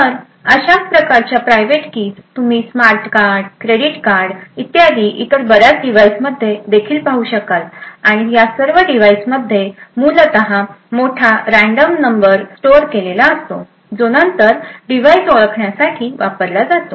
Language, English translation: Marathi, So, a similar type of private keys that you would see also, in various other devices like smart cards, credit cards and so on and all of these devices essentially have a large random number which is stored, which is then used to identify the device